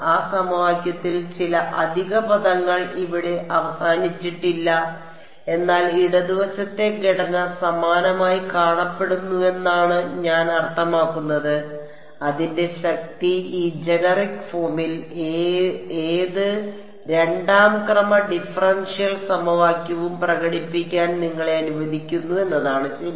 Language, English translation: Malayalam, Not exactly there is there are some extra terms in that equation which are not over here, but I mean the left hand side structure looks similar and the power of that is it allows you to express almost any second order differential equation in this generic form ok